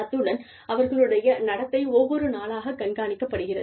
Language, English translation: Tamil, And, their behavior is observed, day in, and day out